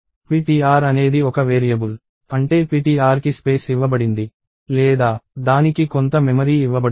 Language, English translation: Telugu, So, ptr itself is a variable which means ptr is given space or it is given some memory